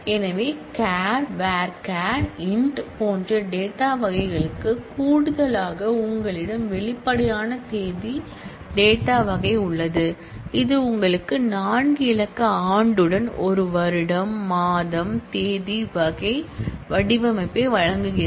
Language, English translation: Tamil, So, in addition to the data types like char, varchar, int and all that you have an explicit date data type which gives you a year, month, date kind of format with a four digit year